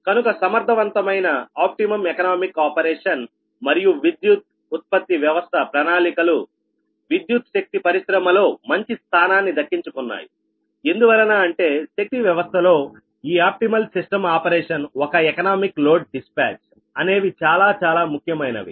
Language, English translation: Telugu, right so that the efficient and optimum economic operation, right and planning of eclectic power generation system have occupied the important position in the eclectic power industry, because this optimal system operation, an economical, economic load dispatch, is very important